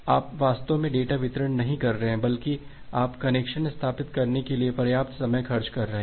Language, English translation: Hindi, You are not actually doing the data delivery, rather you are spending a considerable amount of time just for establishing the connection